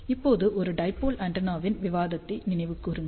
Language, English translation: Tamil, Now, recall the discussion of a dipole antenna